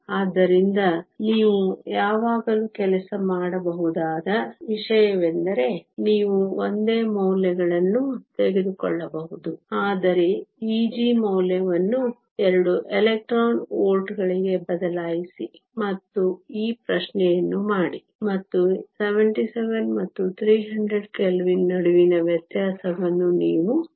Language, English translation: Kannada, So, that is something you can always work out you can take the same values, but change the value of E g to 2 electron volts, and do this question and you can see the difference between 77 and 300 Kelvin